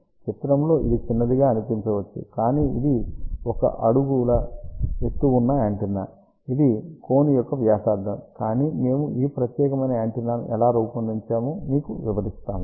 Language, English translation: Telugu, So, in the picture, it may look small, but this is about 1 foot height antenna and that is the radius of the cone, but just to tell you how we designed this particular antenna